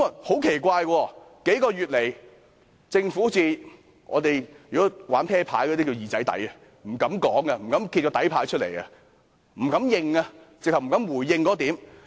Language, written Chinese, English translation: Cantonese, 很奇怪，數個月來，政府好像玩撲克牌的術語"二仔底"般，不敢說，不敢揭底牌，甚至不敢回應那一點。, It is strange . In the past few months the Government has been acting like what we call in card games holding a weak hole card . It does not want to make any remarks as if doing so might disclose its hole card